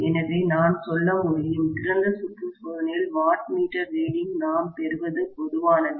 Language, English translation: Tamil, So, I can say in general that in open circuit test what we get as the wattmeter reading